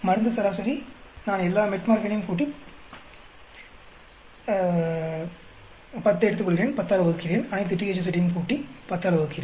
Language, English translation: Tamil, Drug average, I add all the Metformin and take 10, divide by 10, all the THZ and divide by 10